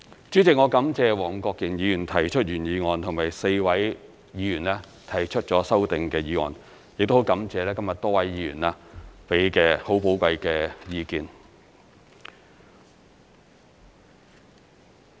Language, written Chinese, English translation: Cantonese, 主席，我感謝黃國健議員提出原議案，以及4位議員提出了修正案，亦感謝今天多位議員給予寶貴的意見。, President I am grateful to Mr WONG Kwok - kin for moving the original motion and the four Members for proposing their amendments . I am also grateful to various Members for expressing their valuable views today